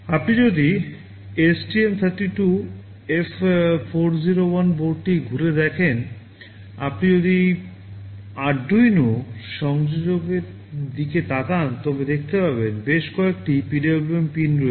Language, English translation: Bengali, If you revisit the STM32F401 board, if you look at the Arduino connector you will see there are several PWM pins mentioned